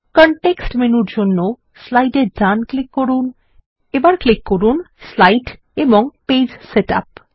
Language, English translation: Bengali, Right click on the slide for the context menu and click Slide and Page Setup